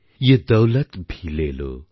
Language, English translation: Bengali, Ye daulat bhi le lo